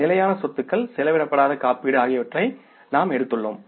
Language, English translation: Tamil, We have taken the fixed assets, unexplored insurance